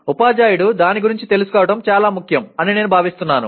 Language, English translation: Telugu, I consider it is very important for the teacher to know about it